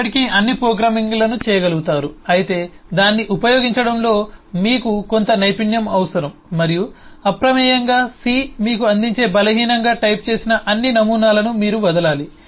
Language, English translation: Telugu, but of course you will need some skill as to use that and you will have to drop all the weakly typed eh paradigms that c offers you by default